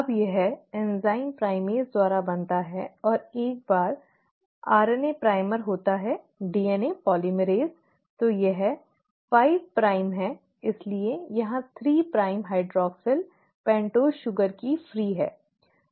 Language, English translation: Hindi, Now this is formed by the enzyme primase and once the RNA primer is there DNA polymerase, so this is 5 prime, so the 3 prime hydroxyl here is free, right, of the pentose sugar